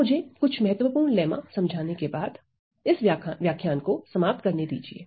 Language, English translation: Hindi, Let me just wrap up this lecture by highlighting few of the lemmas that are useful